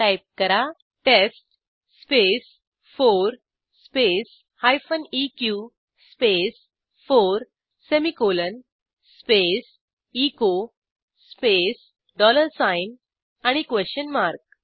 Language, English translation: Marathi, Type: test space 4 space hyphen eq space 4 semicolon space echo space dollar sign and a question mark